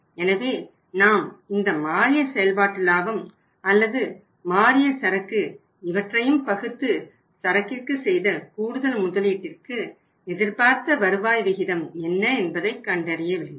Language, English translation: Tamil, So we will have to divide that say changed operating profit or increased operating profit with the increased investment or changed investment in the inventory and then try to find out that what is the expected rate of return available from this increased investment in the inventory right